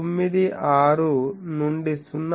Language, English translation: Telugu, 96 to 0